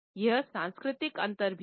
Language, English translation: Hindi, There are cultural differences also